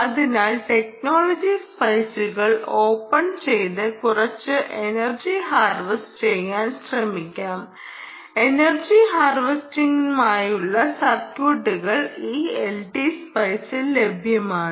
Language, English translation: Malayalam, so lets try and open up the technology spice and just try some energy harvesting, ah, energy, energy harvesting circuits, right, harvesting circuits in this l t spice